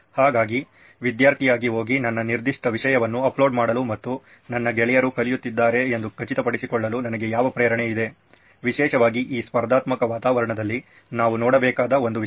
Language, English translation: Kannada, So what motivation do I have as a student to go in and upload my particular content and ensure that my peers are learning, especially in this competitive environment that is one thing we have to look at